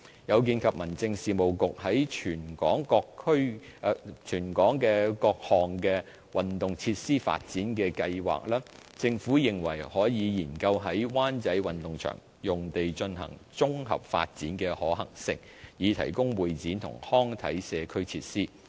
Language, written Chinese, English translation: Cantonese, 有見及民政事務局在全港各項運動設施發展的計劃，政府認為可研究在灣仔運動場用地進行綜合發展的可行性，以提供會展及康體社區設施。, In view of the overall development plan of the Home Affairs Bureau for sports facilities in Hong Kong the Government considers it feasible to examine the possibility of comprehensive development at the Wan Chai Sports Ground site to provide CE recreational and sport as well as community facilities